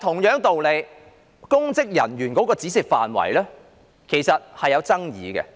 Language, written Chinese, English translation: Cantonese, 可是，公職人員的涵蓋範圍是有爭議的。, Nevertheless the scope of public officers is controversial